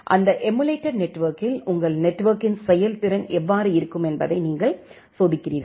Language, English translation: Tamil, And on that emulated platform you are testing that how the performance of your network is going to be